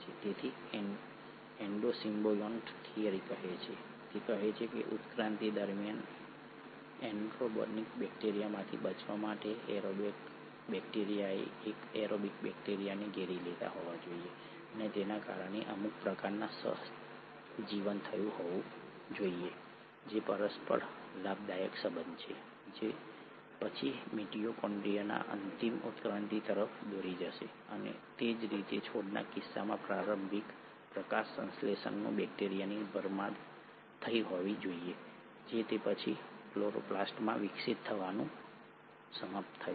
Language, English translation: Gujarati, So this is what the Endo symbiont theory says, it says that in order to survive an anaerobic bacteria during the course of evolution must have engulfed an aerobic bacteria and this must have led to some sort of a symbiosis which is mutually beneficial relationship which will have then lead to final evolution of the mitochondria and similarly in case of plants there must have been an engulfment of an early photosynthetic bacteria which would have then ended up evolving into chloroplast